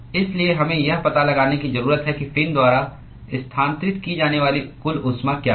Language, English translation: Hindi, So, therefore, we need to find out what is the total heat that is transferred by the fin